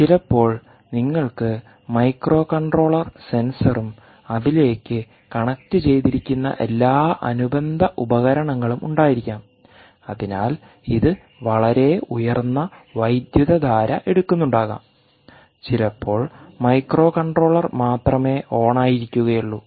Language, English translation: Malayalam, sometimes you can have microcontroller, sensor and all peripherals connected to it and therefore it could be drawing a very high current, sometimes only the microcontroller maybe on, with all the other peripherals going down, which means the current could be going down